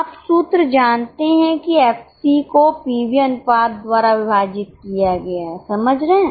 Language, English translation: Hindi, You know the formula FC divided by PV ratio